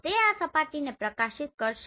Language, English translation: Gujarati, So this will illuminate this surface